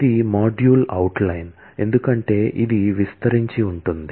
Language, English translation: Telugu, This is the module outline as it will span